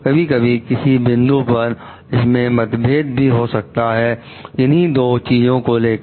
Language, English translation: Hindi, Sometimes there could be a point of conflict between these two things